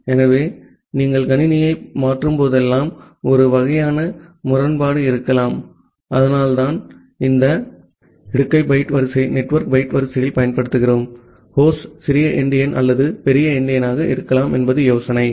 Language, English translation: Tamil, So, that way there may be a kind of inconsistency whenever you are transferring the system, so that is why we use this concept of post byte order to the network byte order, the idea is that the host can be little endian or big endian